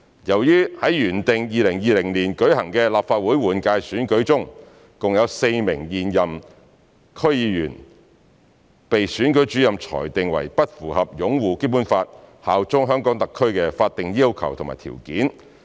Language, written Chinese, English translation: Cantonese, 在原定於2020年舉行的立法會換屆選舉中，共有4名現任區議員被選舉主任裁定為不符合"擁護《基本法》、效忠香港特區"的法定要求和條件。, In the general election of the Legislative Council originally scheduled to be held in 2020 a total of four incumbent DC members have been ruled by the Returning Officer as incompatible with the statutory requirements and conditions of upholding the Basic Law and bearing allegiance to HKSAR